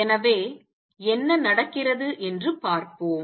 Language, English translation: Tamil, So, let us see what happens